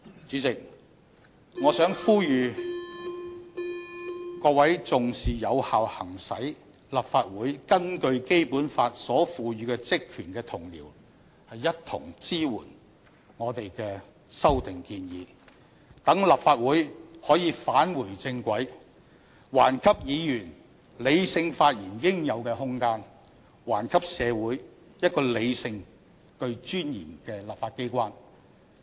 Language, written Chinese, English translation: Cantonese, 主席，我想呼籲各位重視有效行使立法會根據《基本法》所賦予的職權的同事一同支援我們的修訂建議，讓立法會可以返回正軌，還給議員理性發言應有的空間，還給社會一個理性並具尊嚴的立法機關。, President I call on fellow Members who treasure the effective exercise of the powers and functions of the Legislative Council authorized in the Basic Law to support our proposed amendments so that this Council can be restored to its right track and that Members can be given the room to make sensible speeches and society can embrace a sensible and dignified legislature again